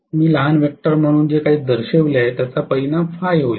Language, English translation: Marathi, Whatever I have shown as the small vector will be the resultant Phi